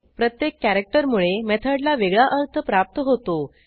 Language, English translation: Marathi, = Each of the characters add some meaning to the method